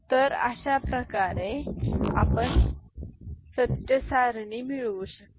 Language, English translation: Marathi, So, this is the way you can get the truth table